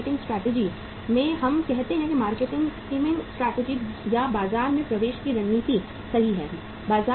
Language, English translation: Hindi, In the marketing strategy we follow say market skimming strategy or the market penetration strategy right